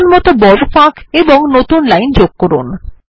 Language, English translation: Bengali, Add long gaps and newlines wherever necessary